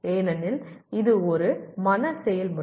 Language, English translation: Tamil, Because it is a mental process